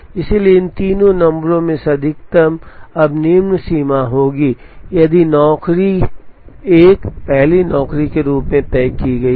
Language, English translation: Hindi, So, the maximum of these three numbers will now be the lower bound if job 1 is fixed as the first job